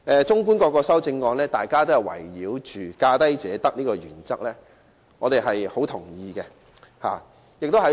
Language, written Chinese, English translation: Cantonese, 綜觀各項修正案，大家均圍繞"價低者得"這項原則提出意見，我們對此十分認同。, Taking an overview of the various amendments we can see that all the views expressed by Members revolve around the lowest bid wins principle . We strongly agree with these views